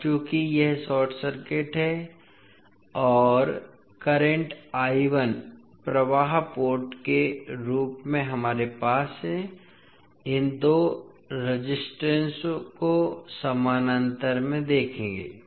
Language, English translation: Hindi, Now, since this is short circuited and current I 1 is flowing form the input port we will have, will see these two resistances in parallel